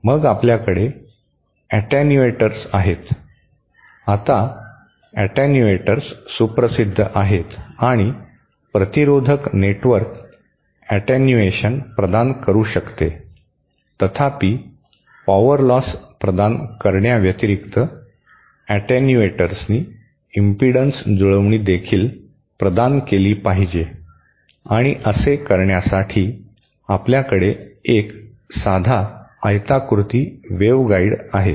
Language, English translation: Marathi, Then we have attenuators, now attenuators are well known, and resistive network can provide attenuation, however in addition to providing power loss, attenuators should also provide impedance matching and to do that, say you have a simple rectangular waveguide